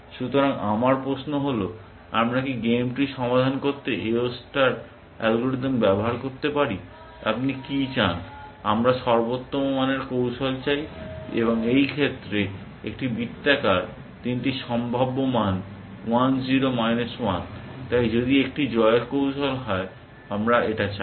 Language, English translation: Bengali, So, my question is can we use the A O star algorithm to solve the game tree, what do you want, we want a strategy of optimal value, in this case a roundly three possible values 1 0 minus 1, so if there is a winning strategy we want it